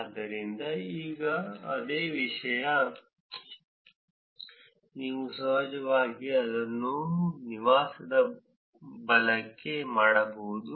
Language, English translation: Kannada, So, now the same thing you can actually do it for the residence right